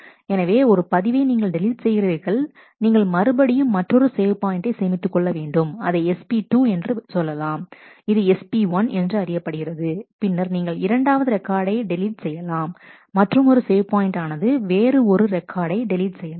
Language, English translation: Tamil, So, 1 record gets deleted, then I again save another save point another save point SP 2 this was SP 1 and, then delete a second record another save point delete another record